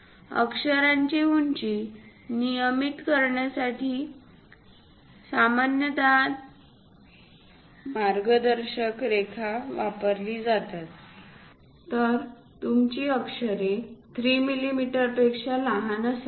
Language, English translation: Marathi, To regulate lettering height, commonly 3 millimeter guidelines will be used; so your letters supposed to be lower than 3 millimeters